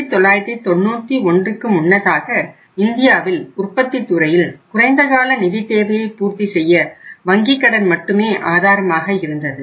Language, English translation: Tamil, So earlier till 1991 I would say only bank finance was the only source of fulfilling the short term funding requirement of the manufacturing sector in India